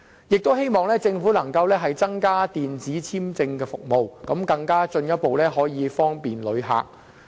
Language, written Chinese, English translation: Cantonese, 我們也希望政府增加電子簽證服務，進一步方便旅客。, We also hope that the Government will introduce the online visa application service to further facilitate travellers visits in Hong Kong